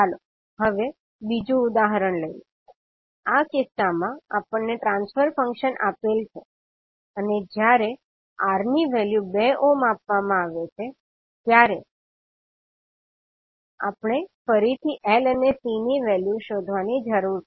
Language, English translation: Gujarati, Now let us take another example, in this case we transfer function is given and we need to find out the value of L and C again when the value of R is given that is 2 ohm